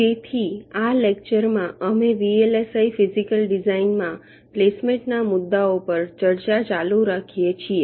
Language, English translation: Gujarati, so in this lecture we continue with the discussion on placement issues in vlsi physical design